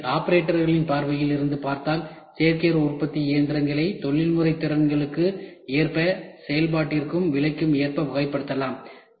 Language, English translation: Tamil, So, seen from the operators point of view, additive manufacturing machines can be categorized according to the professional skills, needed for operation as well as according to the prizing